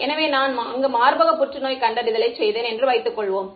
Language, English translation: Tamil, So, supposing I was doing breast cancer detection there